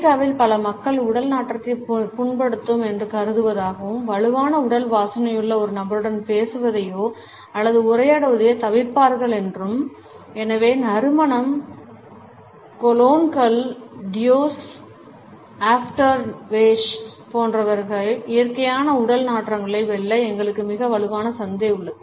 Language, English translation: Tamil, A study tell us that in America many people consider that the body odor is offensive and would avoid talking or interacting with a person who has strong body smells and therefore, there is a very strong market of scents, colognes, deo’s, aftershaves etcetera which helps us to overpower the natural body odors